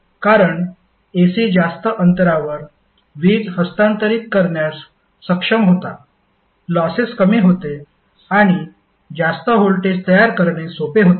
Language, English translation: Marathi, Because AC was able to transfer the power at a longer distance, losses were less and it was easier to generate for a higher voltage